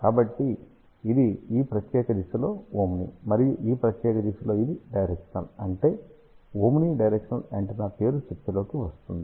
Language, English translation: Telugu, So, it is omni in this particular direction; and it is directional in this particular direction that is how the name omni directional antenna comes into picture